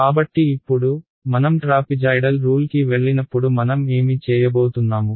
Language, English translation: Telugu, So now, when I go to trapezoidal rule what am I going to do